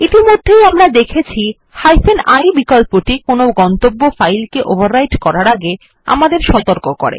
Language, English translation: Bengali, The i option that we have already seen warns us before overwriting any destination file